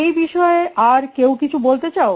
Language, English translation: Bengali, Do you have any views on this